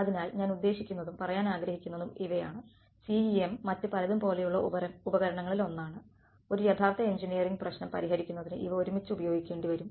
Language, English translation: Malayalam, So, these are all that I mean what I want to convey is that CEM is one of the tools like many others which together will be needed to solve a real world engineering problem right